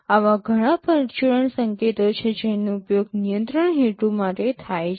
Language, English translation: Gujarati, There are many such miscellaneous signals that are used for control purposes